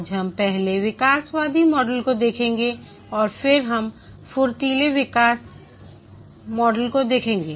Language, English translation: Hindi, Today we will first look at the evolutionary model and then we will look at the agile development model